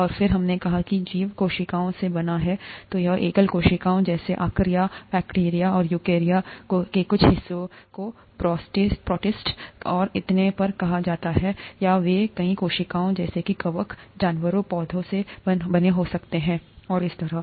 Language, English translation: Hindi, And then we said that life is made up of cells, either single cell, such as in archaea, bacteria, and some part of eukarya called protists and so on, or they could be made up of multiple cells such as fungi, animals, plants and so on